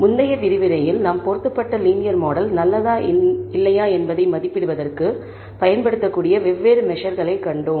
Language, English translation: Tamil, In the previous lecture we saw different measures that we can use to assess whether the linear model that we have fitted is good or not